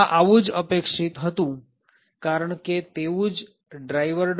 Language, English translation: Gujarati, This is as expected because that is what is present in the driver